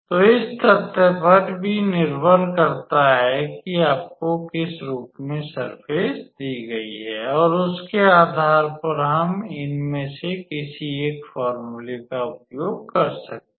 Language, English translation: Hindi, So, it also depends on the fact that in which form you are given the surface and based on that we can use either one of these formulas